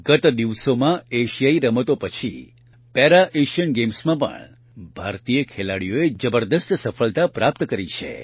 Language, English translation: Gujarati, Recently, after the Asian Games, Indian Players also achieved tremendous success in the Para Asian Games